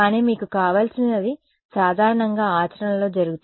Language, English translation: Telugu, But what you want is usually done in practice is